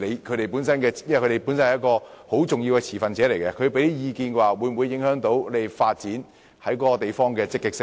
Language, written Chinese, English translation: Cantonese, 他們是很重要的持份者，他們提出的意見會否影響你們在相關地區進行發展的積極性？, Since they are very important stakeholders whether the views they expressed will have an impact on the Governments enthusiasm in taking forward the development of underground space in such areas?